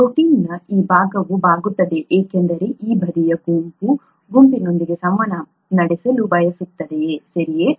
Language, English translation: Kannada, The this, this part of the protein would be bent because this side group wants to interact with this side group, okay